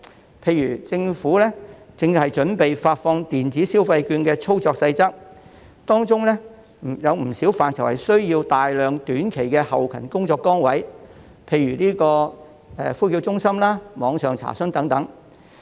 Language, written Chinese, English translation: Cantonese, 舉例而言，政府正準備發放電子消費券的操作細則，當中不少範疇需要設立大量短期的後勤工作崗位，例如呼叫中心、網上查詢等。, For instance the Government is preparing for the operational details of the disbursement of electronic consumption vouchers which may require the creation of a large number of short - term logistic posts in different areas such as call centres online enquiry service etc